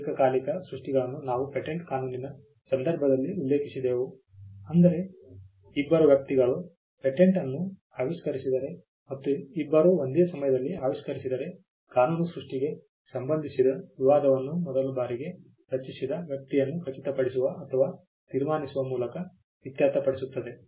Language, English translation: Kannada, Simultaneous creation we had mentioned this in the context of patent law if two people invent a patent if two people invent an invention at the same time law settles dispute with regard to creation by looking at the person who created it the first time